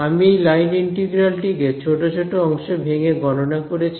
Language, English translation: Bengali, I have calculated this line integral piece by piece